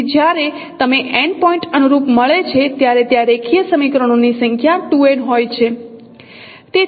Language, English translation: Gujarati, So there are actually 2n number of linear equations when you get n point correspondences